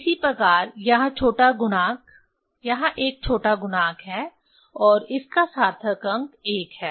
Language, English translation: Hindi, Similarly here so smaller factor, this one the smaller factor and significant figure of this one is 1